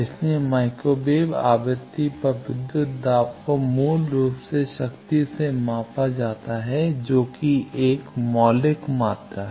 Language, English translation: Hindi, So, at micro wave frequency the voltages are basically measured from power which is a fundamental quantity